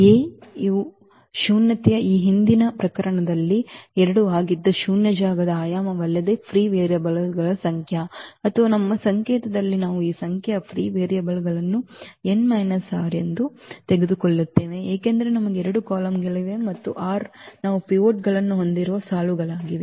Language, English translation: Kannada, The nullity of A is nothing but the dimension of the null space which was 2 in the this previous case, meaning the number of free variables or in our notation we also take this number of free variables as n minus r, because we have n columns and the r are the rows where we have the pivots